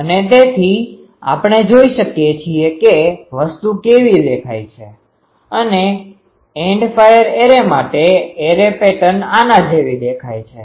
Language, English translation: Gujarati, And so, we can see how the thing looks like; array pattern for an End fire array is looks like this